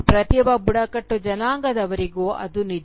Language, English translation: Kannada, That is true of every tribal